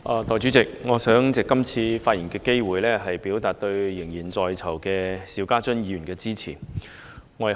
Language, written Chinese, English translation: Cantonese, 代理主席，我想藉這次發言的機會，表達我對現正身陷囹圄的邵家臻議員的支持。, Deputy President in delivering my speech I would like to take this opportunity to express my support for Mr SHIU Ka - chun who is now in prison